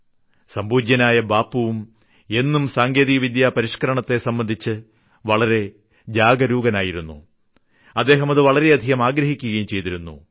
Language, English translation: Malayalam, Respected Bapu was always aware and insistent of technological upgradation and also remained in the forefront for the same